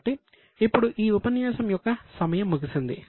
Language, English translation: Telugu, So, now the time for this session is up